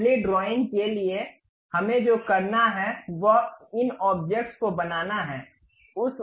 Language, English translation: Hindi, For assembly drawing, what we have to do is mate these objects